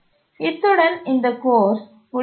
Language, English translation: Tamil, With this, we will conclude this course